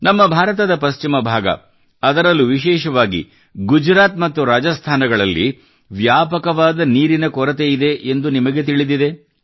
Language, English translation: Kannada, You know, of course, that the western region of our India, especially Gujarat and Rajasthan, suffer from scarcity of water